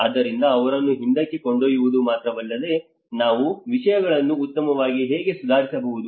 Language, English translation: Kannada, So it is not just only taking them to the back but how we can improve things better